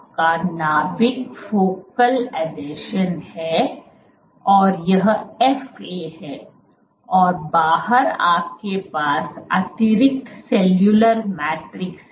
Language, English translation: Hindi, So, this is your nucleus, this is your focal adhesion, this is FA and outside you have the extra cellular matrix